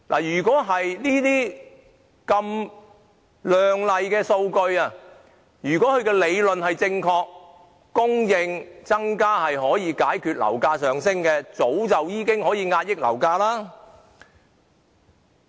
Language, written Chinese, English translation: Cantonese, 如果政府這些亮麗的數據能夠說明增加供應可以解決樓價上升的理論是正確的話，早應可以遏抑樓價了。, If these beautiful statistics provided by the Government can prove that the theory of increasing housing supply can lower property prices the Government should have suppressed the property prices long ago . Just look at the statistics